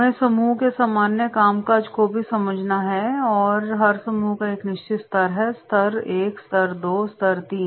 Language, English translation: Hindi, We have to also understand the general functioning of the group, every group is having certain level; level I, level II, level III